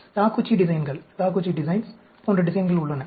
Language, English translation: Tamil, There are designs like Taguchi designs